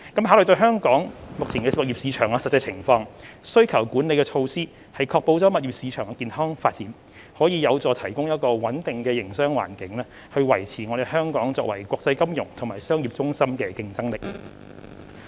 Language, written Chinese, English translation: Cantonese, 考慮到香港目前的物業市場的實際情況，需求管理措施確保物業市場健康發展，可有助提供穩定的營商環境，維持香港作為國際金融和商業中心的競爭力。, Given the actual situation of Hong Kongs property market at present demand - side management measures can ensure the healthy development of the property market which is conducive to a stable business environment thus maintaining Hong Kongs competitiveness as an international financial and business centre